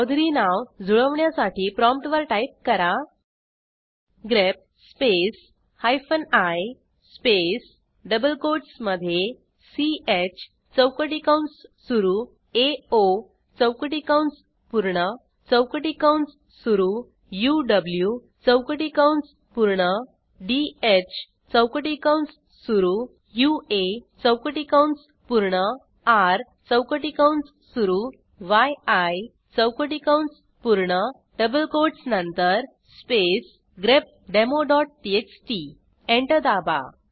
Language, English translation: Marathi, To match chaudhury we may type at the prompt grep space hyphen i space within double quotes ch opening square bracket ao closing square bracket opening square bracket uw closing square bracket dh opening square bracket ua closing square bracket r opening square bracket yi closing square bracket after the double quotes space grepdemo.txt Press Enter